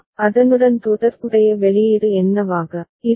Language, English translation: Tamil, And what will be the corresponding output